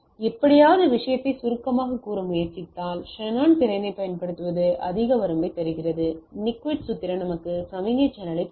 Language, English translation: Tamil, So, somehow means if we try to look at the summarize the thing, so what we use the Shannon capacity gives us the upper limit, the Nyquist formula give us the signal channel